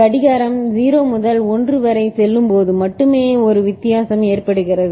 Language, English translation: Tamil, Only when clock from goes from 0 to 1 there is a difference there is a change occurring